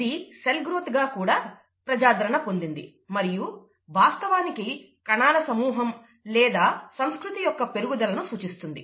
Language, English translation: Telugu, It is referred to as cell growth, but actually means the growth of a population of cells or the growth of culture